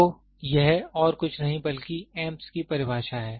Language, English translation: Hindi, So, it is nothing but definition for Amps